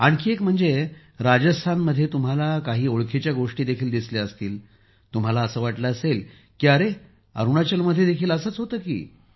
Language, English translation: Marathi, Well, you must have noticed some similarities there too, you would have thought that yes, it is the same in Arunachal too